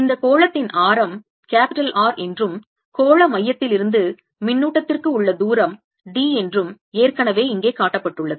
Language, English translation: Tamil, the radius of this sphere is given to be r and the distance from the sphere centre to the charge is d, as already shown here